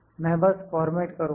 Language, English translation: Hindi, I will just format